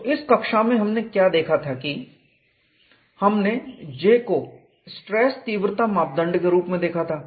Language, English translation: Hindi, So, now what we will do is, we will go and see how J can be used as a stress intensity parameter